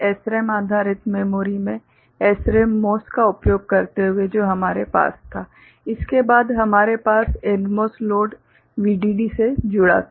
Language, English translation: Hindi, In SRAM based memories SRAM using MOS what we had after this we had a NMOS load connected to VDD